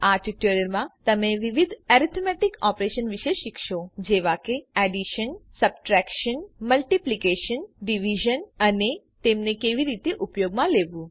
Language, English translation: Gujarati, In this tutorial, you will learn about the various Arithmetic Operations namely Addition Subtraction Multiplication Division and How to use them